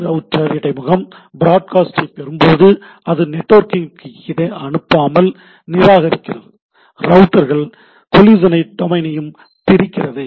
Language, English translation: Tamil, When a router interface receive the broadcast, it discards the broadcast without forwarding to the network, routers also breaks up collision domain right